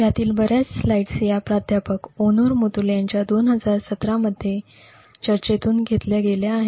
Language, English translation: Marathi, A lot of these slides are actually borrowed from Professor Onur Mutlu’s talk in 2017